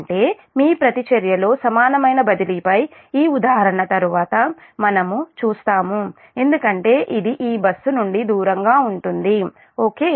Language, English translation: Telugu, that means this we will see through an example later on that equivalent transfer in the, your reactance will increase because it away from the, this bus right